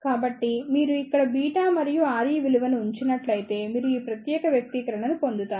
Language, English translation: Telugu, So, if you see here and put the value of beta and R E, you will get this particular expression